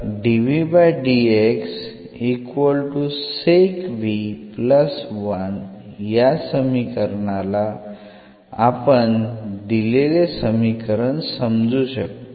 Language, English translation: Marathi, So, having this equation now we can just rewrite this